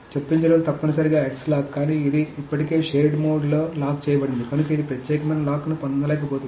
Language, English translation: Telugu, So insertion is essentially an X lock, but this is already locked in a shared mode, so it cannot get an exclusive log answer